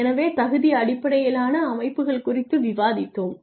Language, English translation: Tamil, So, we have discussed merit based systems